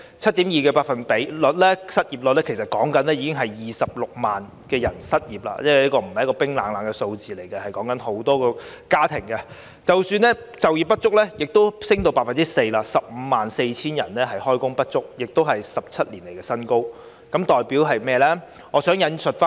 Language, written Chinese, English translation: Cantonese, 失業率 7.2%， 即26萬人失業，這不是冰冷的數字，而是涉及很多家庭；就業不足率也升至 4%， 即 154,000 人就業不足，是17年以來的新高。, The unemployment rate of 7.2 % means 260 000 persons are unemployed . It is not a cold figure but represents quite a number of families . The underemployment rate has also risen to 4 % meaning that 154 000 persons are underemployed and is a new high in 17 years